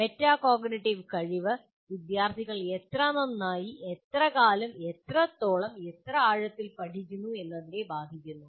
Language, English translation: Malayalam, So metacognitive ability affects how well and how long students study, how much and how deeply the students learn